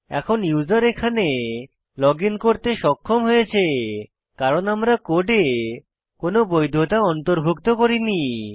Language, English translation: Bengali, Now, the user was able to login here because we have not included any validation inside the code